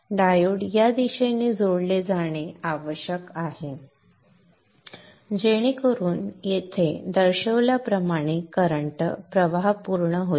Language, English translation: Marathi, Diodes need to be connected in this fashion such that the current flow completes as shown here